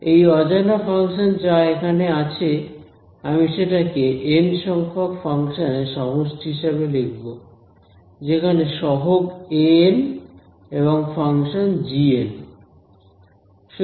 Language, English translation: Bengali, This unknown function over here, I write it as the sum of n functions each one with a coefficient a n and the function g n